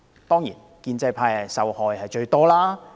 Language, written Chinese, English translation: Cantonese, 當然，建制派受害最大。, Of course the pro - establishment camp suffered the most